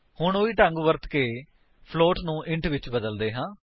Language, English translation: Punjabi, Now let us convert float to an int, using the same method